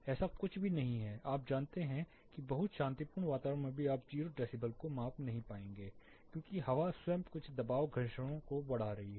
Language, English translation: Hindi, There is nothing like you know even in a very peaceful quite environment you will not be able to measure 0 decibel, because air itself is exerting some pressure frictions